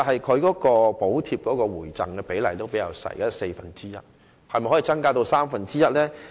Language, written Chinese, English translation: Cantonese, 此外，補貼計劃的回贈比例只有四分之一，可否增至三分之一呢？, In addition the rebate rate of the Subsidy Scheme is only one fourth can the rate be raised to one third?